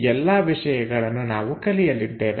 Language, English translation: Kannada, These are the things what we are going to learn